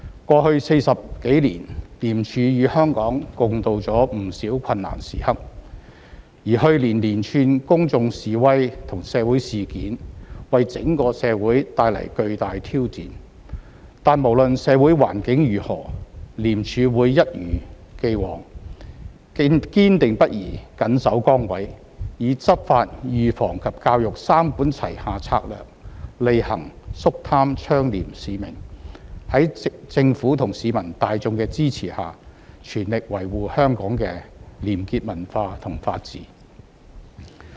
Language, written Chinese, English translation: Cantonese, 過去40多年，廉署與香港共渡了不少困難時刻，而去年連串公眾示威和社會事件為整個社會帶來巨大挑戰，但無論社會環境如何，廉署會一如以往，堅定不移緊守崗位，以執法、預防及教育三管齊下策略履行肅貪倡廉使命，在政府和市民大眾的支持下，全力維護香港的廉潔文化和法治。, Last year even saw a series of public protests and social events which brought tremendous challenges to our society as a whole . However regardless of the social environment ICAC will as before remain perseverant in discharging its duties and continue its anti - corruption mission through the three - pronged strategy of law enforcement prevention and education . With the support of the Government and the public it will sustain a culture of integrity and contribute to maintaining strong rule of law in Hong Kong